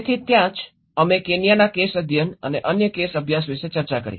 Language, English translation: Gujarati, So, that is where we discussed about the Kenyan case studies and other case studies as well